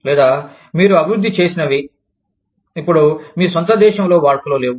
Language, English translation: Telugu, Or, whatever you have developed, is now obsolete, in your own country